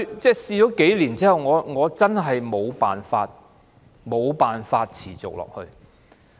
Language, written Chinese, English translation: Cantonese, 不過，嘗試數年後，我真的沒有辦法持續下去。, However after trying for a few years I really could not find any way to continue with this plan